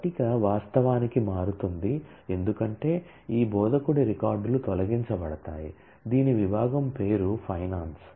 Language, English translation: Telugu, The table is actually changing; because these instructor records are deleted whose department name was finance